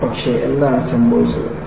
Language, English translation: Malayalam, And, what happened